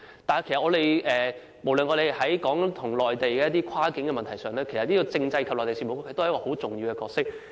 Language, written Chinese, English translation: Cantonese, 但是，我們所談論的是涉及內地的跨境問題，政制及內地事務局也身負重要角色。, But we are now discussing a cross - boundary issue involving the Mainland . The Constitutional and Mainland Affairs Bureau also plays an important role